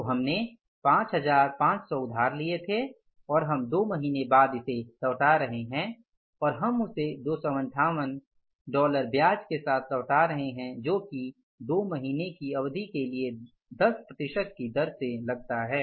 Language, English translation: Hindi, We are returning that after two months and we are returning that with the interest of that is 258 which works out at the rate of 10% for the period of two months